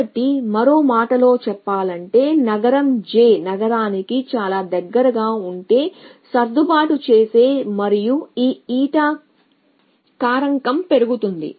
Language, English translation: Telugu, So, in other words if that the adjust very if the if the city j is very close to city i and this eta factor will shoot up